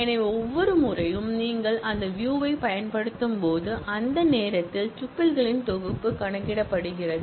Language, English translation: Tamil, So, every time you make use of that view, at that time the set of tuples are computed